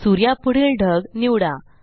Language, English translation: Marathi, Select the cloud next to the sun